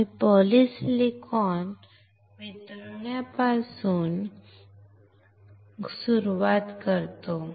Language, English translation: Marathi, We start with melting of polysilicon